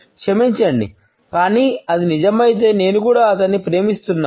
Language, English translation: Telugu, Sorry, but if it is true I love him too